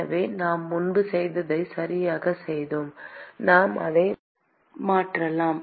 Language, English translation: Tamil, So, it is exactly what we did before; and we can substitute that into the temperature distribution